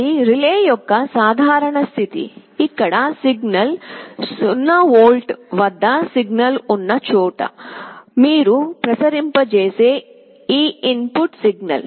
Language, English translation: Telugu, This is the normal state of the relay, where this signal this input signal that you are applying where signal is at 0 volts